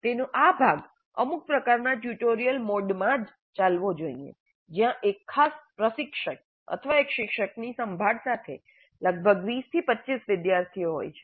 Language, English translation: Gujarati, So this part of it must be run in some kind of a tutorial mode where there are only about 20 to 25 students with the care of one particular instructor or one tutor